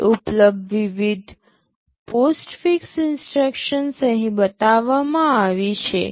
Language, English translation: Gujarati, Now the various instruction postfix that are available are shown here